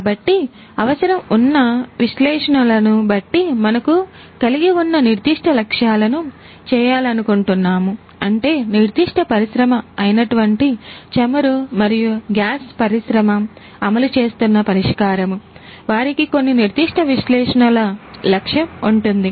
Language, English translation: Telugu, So, depending on what analytics, we would like to do the specific objectives that we have, we means the specific industry that is implementing the oil and gas industry that is implementing this solution, they would have some specific analytics objective